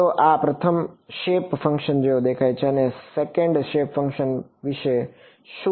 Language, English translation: Gujarati, So, this is what the first shape function looks like what about the second shape function